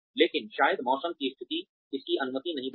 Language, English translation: Hindi, But, maybe the weather conditions, do not allow it